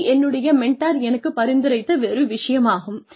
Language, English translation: Tamil, So, this is something that had been suggested to me, by my mentors